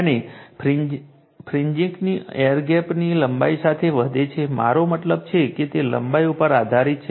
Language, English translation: Gujarati, And the effect of fringing increases with the air gap length I mean it is I mean it depends on the length right